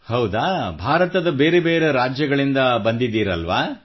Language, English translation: Kannada, Were they from different States of India